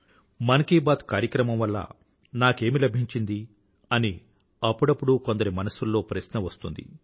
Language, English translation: Telugu, At times a question arises in the minds of people's as to what I achieved through Mann Ki Baat